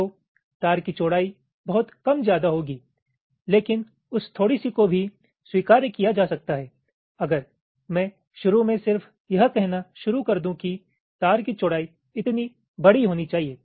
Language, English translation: Hindi, so the wire width will be very little bit, but that little bit can be tolerated if i just initially to start to say that the wire width should be large enough